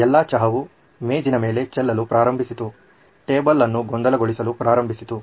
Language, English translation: Kannada, All the tea started spilling all around on the table, started messing up the table